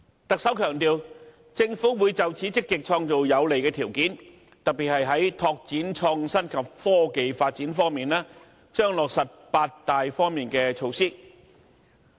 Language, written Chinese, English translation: Cantonese, 特首強調，政府會就此積極創造有利條件，特別是在拓展創新及科技發展方面，將落實八大方面的措施。, The Chief Executive states that the Government will actively create favourable conditions for this purpose; in particular it will step up efforts to develop innovation and technology in eight major areas